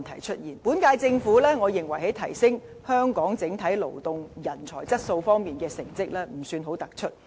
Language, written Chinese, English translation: Cantonese, 我認為，本屆政府在提升香港整體勞動人才質素方面，成績不算很突出。, I consider that the current Government has not been outstanding in improving overall manpower quality in Hong Kong